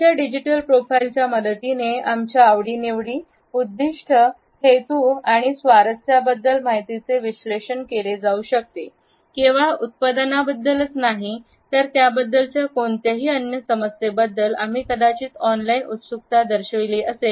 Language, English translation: Marathi, With the help of our digital profile, one can analyse information about our interest, intentions and concerns not only about a product, but also about any other issue about which we might have shown an online curiosity